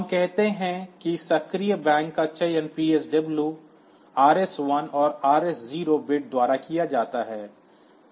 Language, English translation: Hindi, the active bank is selected by PSW RS1 and RS0 bits